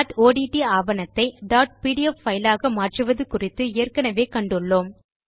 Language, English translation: Tamil, We have already seen how to convert a dot odt document to a dot pdf file